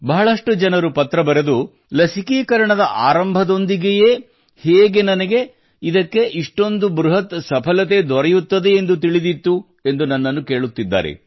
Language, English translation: Kannada, Many people are asking in their letters to me how, with the commencement itself of the vaccine, I had developed the belief that this campaign would achieve such a huge success